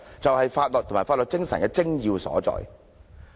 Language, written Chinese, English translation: Cantonese, 這就是法律及法律精神的精要所在。, That is what is meant by the law and its spirit